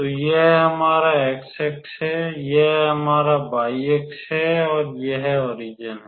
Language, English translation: Hindi, So, this is our x axis this is our y axis that is the origin